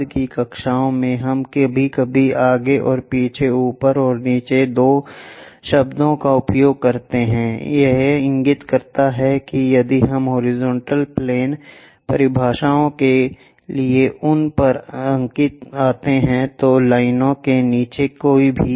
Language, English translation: Hindi, In later classes, we occasionally use two words above and below frequently in front and behind, this indicates that any above below lines if we come across those for horizontal plane definitions